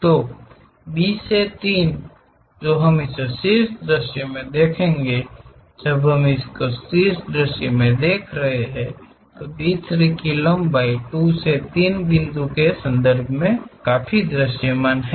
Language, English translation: Hindi, So, from B to 3 which we will see it from the top view when we are looking at top view, the B 3 length is quite visible, in terms of 2 to 3 point